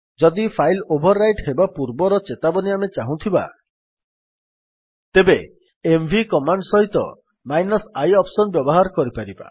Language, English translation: Odia, If we want our warning before the file is overwritten, we can use the i option with the mv command